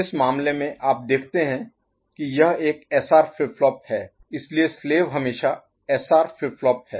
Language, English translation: Hindi, In this case you see that this is one SR flip flop, so the slave is always SR flip flop ok